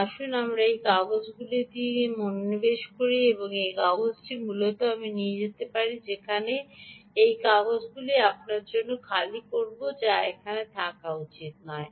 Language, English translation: Bengali, so lets focus on that paper, and that paper ah is essentially i will go and open that paper for you which should is here, right